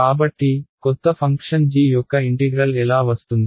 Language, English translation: Telugu, So, how will the integral of the new function g come